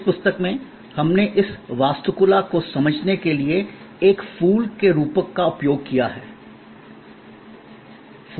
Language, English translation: Hindi, In this book, we have used a metaphor of a flower to understand this architecture